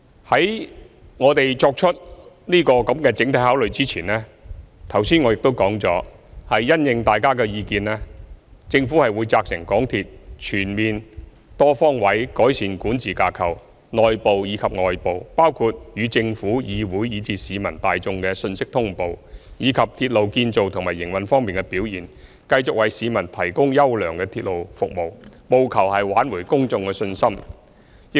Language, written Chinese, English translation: Cantonese, 在我們作出整體考慮前，剛才我已說了，政府會因應大家的意見，責成港鐵公司全面和多方位改善內部和外部的管治架構，包括與政府、議會和市民大眾的信息通報，以及鐵路建造和營運方面的表現，繼續為市民提供優良的鐵路服務，務求挽回公眾的信心。, As I previously mentioned before we can take all these into consideration the Government will respond to Members views by instructing MTRCL to improve its internal and external governance structures comprehensively and extensively . That will involve improving its mechanism for notifying the Government the Legislative Council and the general public of the latest information and its performance in railway construction and operation so as to continue to provide people with quality railway service and restore public confidence